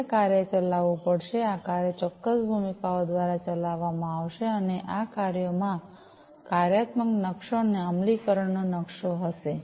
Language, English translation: Gujarati, Now this task will have to be executed, these task will be executed by certain roles, and these tasks will have a functional map and an implementation map